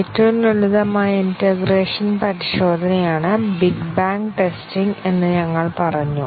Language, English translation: Malayalam, We said that the simplest integration testing is big bang testing